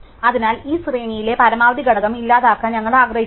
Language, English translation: Malayalam, So, we want to delete the maximum element in this array